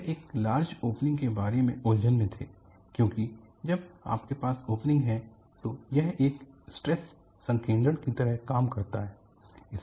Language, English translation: Hindi, They were skeptical about a larger opening because when you have opening,it acts like a stress concentration